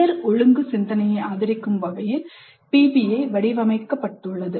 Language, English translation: Tamil, PBI is designed to support higher order thinking